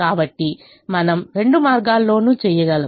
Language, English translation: Telugu, so we could do in either of the ways